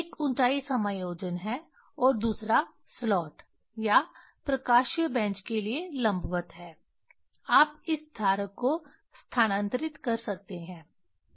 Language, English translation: Hindi, One is height adjustment and another is perpendicular to the slot or optical bench you can move this holder